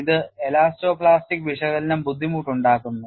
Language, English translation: Malayalam, This makes elasto plastic analysis difficult